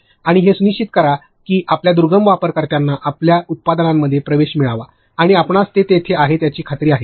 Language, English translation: Marathi, And, make sure that your remote users are also able to you know get access to your products, and sure that that is there